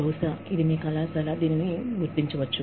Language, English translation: Telugu, Maybe, your college will recognize it